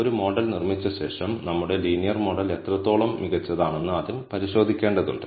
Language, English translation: Malayalam, After having built a model, we first need to check how good is our linear model